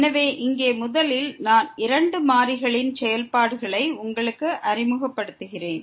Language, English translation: Tamil, So, here first let me introduce you the Functions of Two Variables